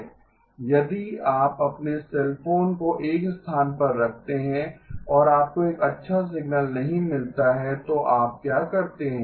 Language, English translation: Hindi, If you hold your cell phone in one position and you do not get a good signal what do you do